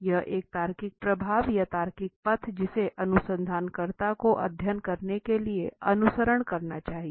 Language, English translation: Hindi, It is a logical flow or a logical path that the researcher should follow in order to conduct a study